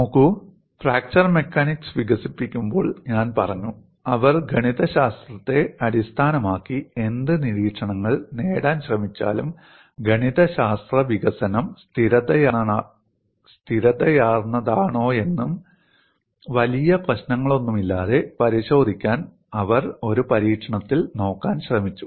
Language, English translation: Malayalam, See, while developing fracture mechanics, I have said, whatever the observations they were trying to derive based on mathematics, they tried to look at in an experiment to whether verify the mathematical development has been consistent, free of any major problems